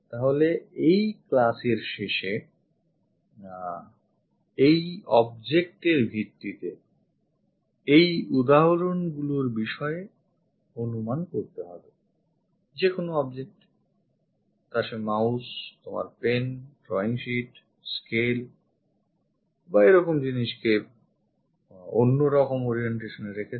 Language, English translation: Bengali, So, end of this class you have to guess these examples based on the object; pick any object perhaps mouse, may be your pen, may be a drawing sheet, scale, this kind of things keep it at different kind of orientation